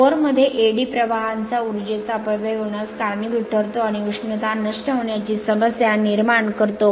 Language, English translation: Marathi, The flow of eddy currents in the core leads to wastage of energy and creates the your problem of heat dissipation right